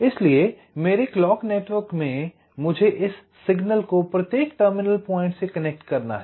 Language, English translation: Hindi, so in my clock network i have to connect this signal to each of these terminal points